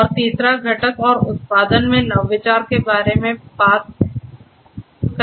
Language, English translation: Hindi, And the third component talks about innovation in the process and the production